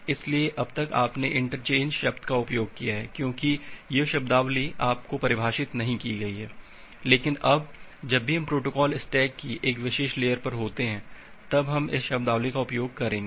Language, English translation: Hindi, So, till now you have used the term interchangeably, because this terminologies has not been defined to you, but now onwards we’ll use this terminology whenever we are there at a particular layer of the protocol stack